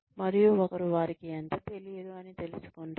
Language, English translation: Telugu, And, one realizes, how much one does not know